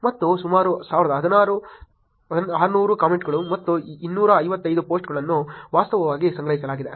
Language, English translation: Kannada, And about 1600 comments and 255 posts were actually collected